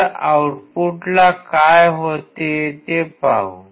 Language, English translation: Marathi, Let us see what happens at the output all right